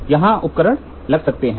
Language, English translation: Hindi, So, here is the instrument you place